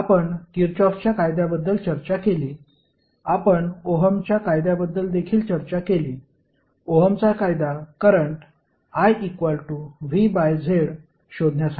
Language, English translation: Marathi, We discussed about the Kirchhoff’s law, we also discussed Ohm’s law, Ohm’s law is nothing but the finding out current I that is V by Z